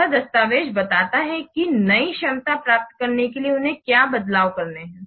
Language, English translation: Hindi, So this document explains the changes to be made to obtain the new capability